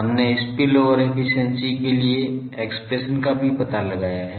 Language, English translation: Hindi, Now, we have also found out the expression for spillover efficiency